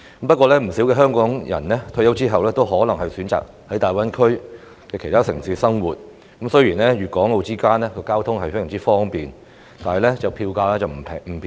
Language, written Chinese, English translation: Cantonese, 不過，有不少香港人退休後可能選擇在大灣區的其他城市生活，雖然粵港澳間的交通非常方便，但票價並不便宜。, However many Hong Kong people may choose to live in other cities in the Greater Bay Area GBA upon retirement . Although the transport among Hong Kong Guangdong and Macao is very convenient the fares involved are not cheap